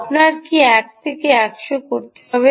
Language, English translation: Bengali, do you have to put a one is to hundred